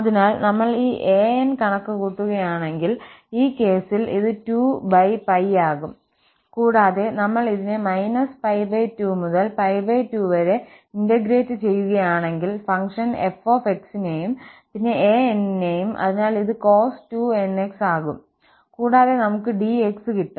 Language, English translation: Malayalam, So, if we compute this an, in this case, this will be like 2 over pi and then we will integrate from minus pi by 2 to pi by 2 and the function f and then for an, so that is going to be cos 2 nx and we will have dx